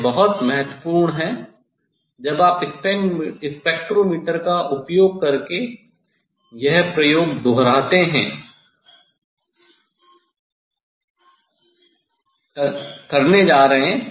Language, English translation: Hindi, this is very important when you are going to do this experiment using the spectrometer